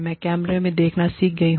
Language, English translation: Hindi, I have learned, to look at the camera